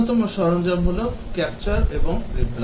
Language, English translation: Bengali, One of the tools is capture and replay